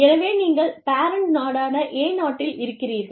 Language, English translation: Tamil, So, you are in country A, which is the parent country